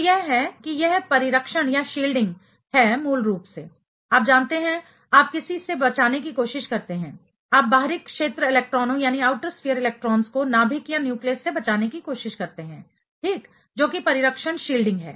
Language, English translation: Hindi, So, it is this is the shielding is basically you know you try to protect something from, you try to protect the outer sphere electrons from the nucleus right that is what is shielding